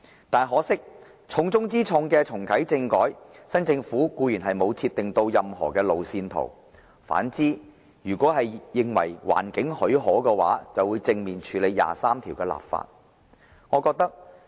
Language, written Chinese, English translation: Cantonese, 不過，很可惜，就重中之重的重啟政改，新政府沒有設定任何路線圖，反而表明如果環境許可，會正面處理就《基本法》第二十三條立法。, Unfortunately regarding the most important task of reactivating the constitutional reform the new Government has failed to provide any roadmap . On the contrary it has stated that should circumstances allow it will positively deal with the legislation for Article 23 of the Basic Law